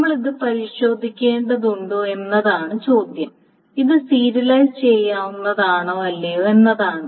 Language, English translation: Malayalam, So the question is we need to test whether this is view serializable or not